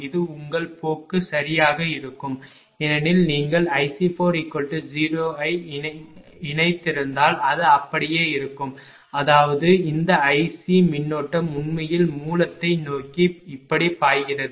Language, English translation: Tamil, This will be the your train right because you have connected if i C 4 is 0 it will remain as it is; that means, this i C current actually flowing like this flowing like this flowing like this throughout the source